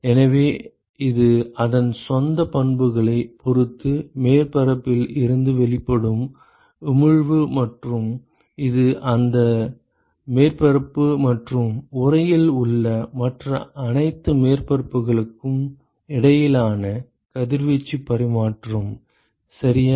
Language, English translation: Tamil, So, this is the emission from the surface with respect to its own properties and this is the radiation exchange between that surface and all the other surfaces in the enclosure ok